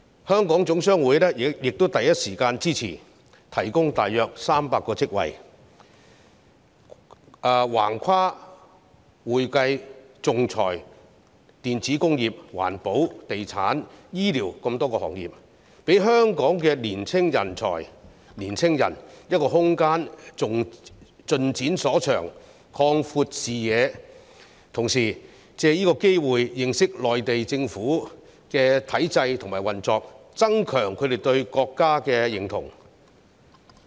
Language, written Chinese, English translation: Cantonese, 香港總商會亦第一時間支持，提供大約300個職位，橫跨會計、仲裁、電子工業、環保、地產、醫療等多個行業，讓香港的青年人有空間盡展所長、擴闊視野，同時藉此機會認識內地政府的體制和運作，增強他們對國家的認同。, The Hong Kong General Chamber of Commerce has rendered its support in the first instance by providing some 300 jobs covering various industries such as accounting arbitration electronics environmental protection real estate and healthcare so that young people from Hong Kong will be able to unleash their potentials and broaden their horizons . At the same time they can also take the opportunity to get to know the system and operation of the Mainland Government and enhance their sense of national identity